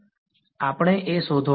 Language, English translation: Gujarati, we have to find A